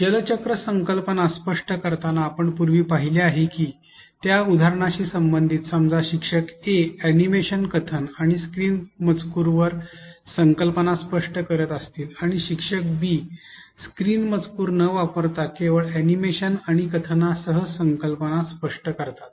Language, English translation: Marathi, Correlating with the example which we saw earlier while explaining the concept of water cycle: suppose, if teacher A explains the concepts using animation, narration and on screen text while teacher B explains the concept with animation and narration without on screen text